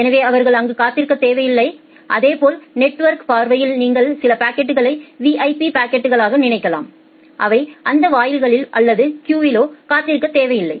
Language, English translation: Tamil, So, they do not need to wait, similarly in the network perspective you can think of certain packets as those VIP packets which who do not need to wait at those gates or the queues they are served immediately